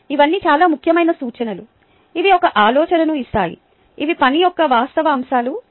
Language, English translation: Telugu, all these are very important references which give an idea ah, which give the actual ah aspects of the work itself